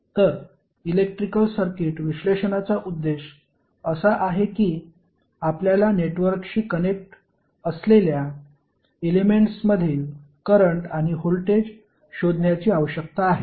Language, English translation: Marathi, So the objective of the electrical circuit analysis is that you need to find out the currents and the voltages across element which is connect to the network